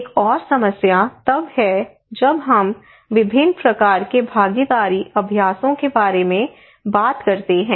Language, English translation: Hindi, Another problem is that when we are talking about various kind of participatory exercises